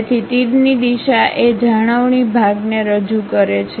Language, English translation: Gujarati, So, the direction of arrow represents the retaining portion